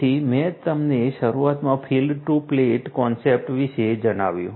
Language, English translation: Gujarati, So, I told you about the field to plate concept at the outset I explained it